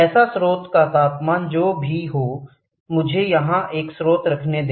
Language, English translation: Hindi, So, the temperature the source, whatever it is let me put a source here